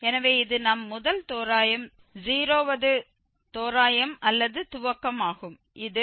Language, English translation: Tamil, 5 so this is our first approximation 0th approximation or initialization which says that x naught is 0